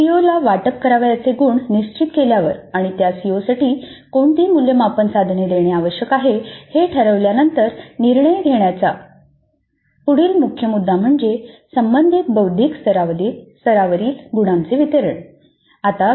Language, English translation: Marathi, The next important aspect that is after determining the marks to be allocated to a CO and after determining the assessment instruments over which that CO is to be addressed, the next major issue to be decided is the distribution of marks over relevant cognitive levels